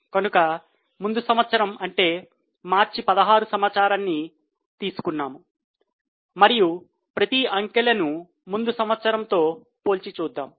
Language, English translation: Telugu, So, we collect the data of last year, that is March 16 and each of the figures will compare with earlier year